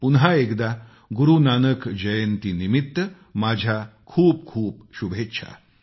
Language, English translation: Marathi, Once again, many best wishes on Guru Nanak Jayanti